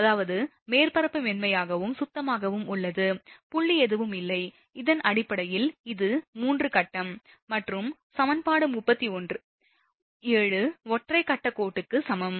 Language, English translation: Tamil, That is surface is smooth and clean no dot nothing is there, based on that this is for 3 phase and equation 37 same thing that is for single phase line